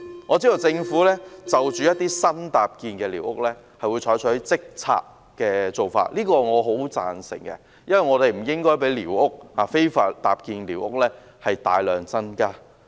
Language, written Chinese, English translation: Cantonese, 我知道政府就一些新搭建的寮屋，會採取即時清拆的做法，對此我十分贊成，因為我們不應該讓非法搭建的寮屋大量增加。, I understand that newly erected squatter huts will be cleared by the Government immediately . This I very much support because we should not allow illegally erected squatter structures to increase considerably